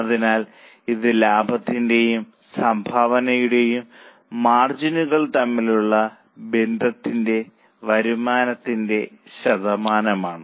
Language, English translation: Malayalam, So, this is a relationship between the profit margin or a contribution margin as a percentage to revenue